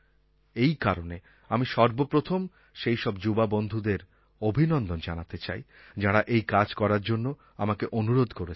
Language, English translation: Bengali, So first I would like to felicitate my young friends who put pressure on me, the result of which was that I held this meeting